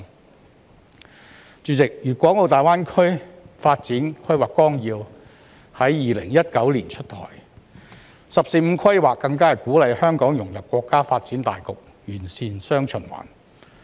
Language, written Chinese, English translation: Cantonese, 代理主席，《粤港澳大灣區發展規劃綱要》在2019年出台，"十四五"規劃更是鼓勵香港融入國家發展大局，完善"雙循環"。, Deputy President the Outline Development Plan for the Guangdong - Hong Kong - Macao Greater Bay Area was rolled out in 2019 while the 14 Five - Year Plan is even aimed to motivate Hong Kong to integrate into the countrys overall development setting and refine its dual circulation framework